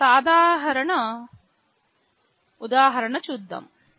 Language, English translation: Telugu, Let us show a simple example